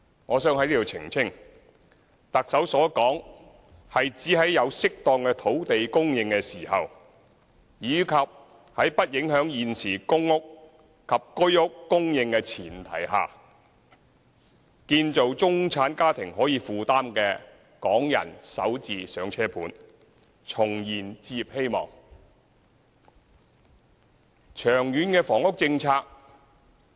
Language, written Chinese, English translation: Cantonese, 我想在此澄清，特首所指的是，如果有適當土地供應，以及在不影響現時公共出租房屋及居屋供應的前提下，會建造中產家庭可以負擔的港人首置"上車盤"，重燃置業希望。, Let me clarify the meaning of the Chief Executives remark . What she meant to say is that if there is suitable land supply and without affecting the current public rental housing and HOS supply the Government will introduce affordable Starter Homes for Hong Kong middle - class families and reignite their dreams to own a home